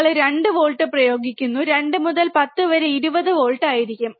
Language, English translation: Malayalam, You are applying 2 volts, 2 into 10 will be 20 volts